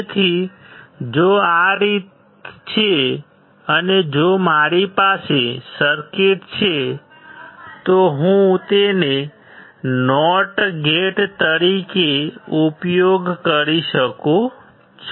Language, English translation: Gujarati, So, if this is in this way and if I have the circuit, I can use it as a not gate